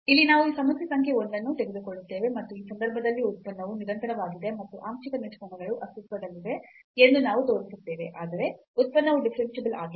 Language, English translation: Kannada, So, here we take this problem number 1, and we will show that in this case the function is continuous and the partial derivatives exists, but the function is not differentiable